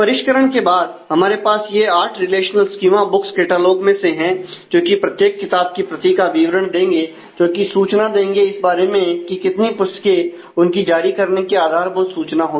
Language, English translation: Hindi, So, after refinement now we have these eight relational schema from book catalogue to give the details of every book copies which keeps the information about, how many; what are the different copies book issue; is the basic issuing information